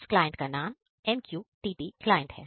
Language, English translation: Hindi, that client is MQTT client